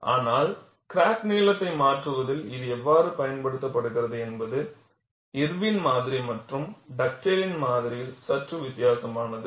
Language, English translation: Tamil, But the way how it is used in modifying in the crack length is slightly different in Irwin’s model and Dugdale’s model